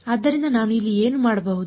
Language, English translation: Kannada, So, what can I do over here